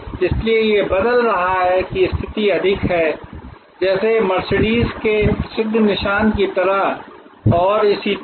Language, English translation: Hindi, So, it is changing it is position more like the famous, towards the famous scar of Mercedes and so on